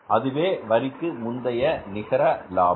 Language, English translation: Tamil, This is net profit before tax you can say